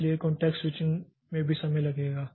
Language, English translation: Hindi, So, context switching will also take time